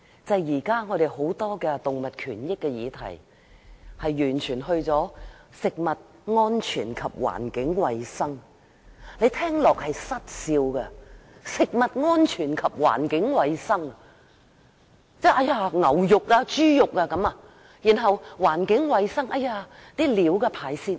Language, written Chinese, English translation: Cantonese, 現時有關動物權益的議題屬於食物安全及環境衞生的範疇，這令人想笑，食物安全是否指牛肉、豬肉，環境衞生是否指飼料和排泄物？, It is amusing that at present the issue of animal rights falls within the scope of food safety and environmental hygiene . Does food safety refer to beef and pork and environmental hygiene refer to animal feed and faeces?